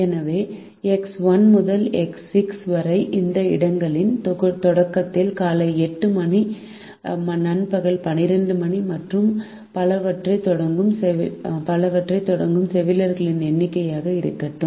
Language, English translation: Tamil, so x one to x six, let it be the number of nurses who start work at the beginning of the six slots, which is eight am, twelve noon, and so on